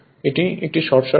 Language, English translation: Bengali, It is a short circuit